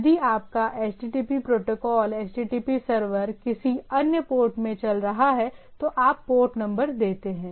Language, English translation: Hindi, If your HTTP protocol HTTP server is running in some other port, you give the port number